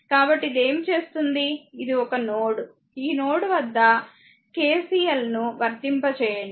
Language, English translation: Telugu, So, what you do this , this one node , right at this node you apply your what you call KCL